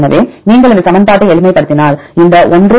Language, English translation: Tamil, So, if you simplify this equation, you will get this 1 + 0